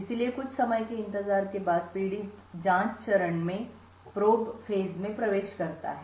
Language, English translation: Hindi, So, after waiting for some time the victim enters the probe phase